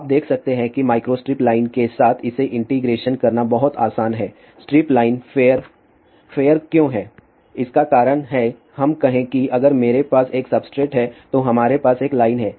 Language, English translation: Hindi, You can see that with the micro strip line it is very easy to integrate with strip line fair the reason why the fair is that let us say if you have a one substrate then we have a line